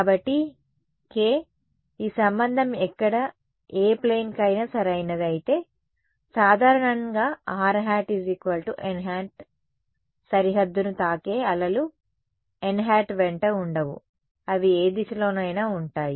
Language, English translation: Telugu, So, when k hat is equal to n hat this relation is true for any plane where, but in general the waves hitting the boundary are not going to be along n hat they will be along any direction